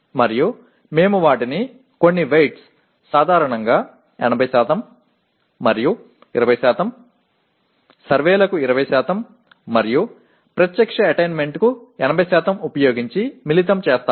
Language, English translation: Telugu, And we combine them using some weights, typically 80% and 20%, 20% to surveys and 80% to direct attainment